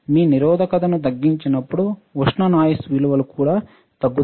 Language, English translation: Telugu, And lowering the resistance values also reduces the thermal noise